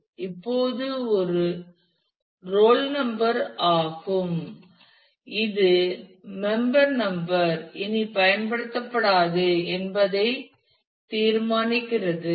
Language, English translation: Tamil, So, now, it is a roll number which determines everything member number is no longer used